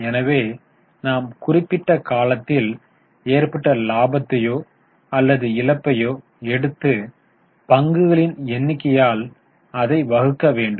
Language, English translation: Tamil, So we take profit or loss for the period and divided by number of shares